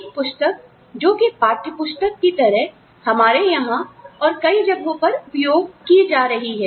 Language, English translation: Hindi, A book, that is being used, as a textbook in many places, including ours